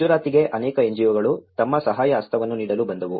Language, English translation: Kannada, It was many NGOs which came to Gujarat to give their helping hand